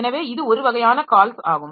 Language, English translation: Tamil, So, this is one type of calls